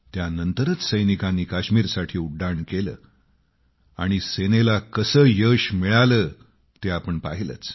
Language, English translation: Marathi, And immediately after that, our troops flew to Kashmir… we've seen how our Army was successful